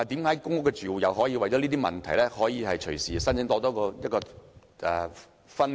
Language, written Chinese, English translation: Cantonese, 為何公屋住戶可以因為這些問題而隨時申請"分戶"？, How come PRH tenants can apply for splitting tenancies anytime when they have such problems?